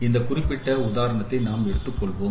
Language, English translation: Tamil, So, let us take this particular example